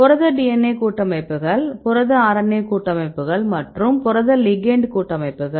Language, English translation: Tamil, Protein DNA complexes, protein RNA complexes and protein ligand complexes